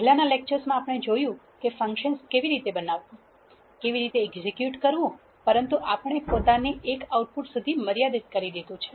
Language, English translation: Gujarati, In the previous lectures we have seen how to create functions, how to execute them, but we have limited ourselves to the single output